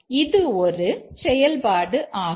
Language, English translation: Tamil, That's the function